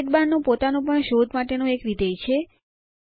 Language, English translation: Gujarati, The Sidebar even has a search function of its own